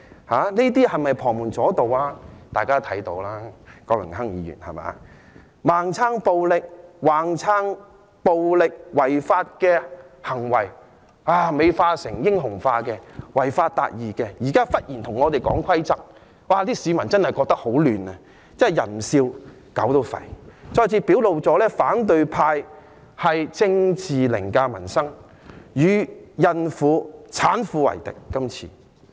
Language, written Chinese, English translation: Cantonese, 反對派盲撐暴力、盲撐暴力違法行為，將暴力行為美化和英雄化，說這些是違法達義，現在忽然跟我們說規則，市民真的覺得很混亂，真是"人不笑，狗也吠"，再次表露反對派是政治凌駕民生，這次他們是與孕婦、產婦為敵。, The opposition camp has been giving blind support to violence and illegal violent acts glamorizing and heroizing violence saying that this is achieving justice by violating the law . But they now suddenly talk to us about rules . The public are really very confused